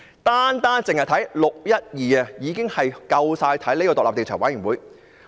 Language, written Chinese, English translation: Cantonese, 單是"六一二"事件已經足以成立專責委員會。, Just the 12 June incident justifies the formation of a select committee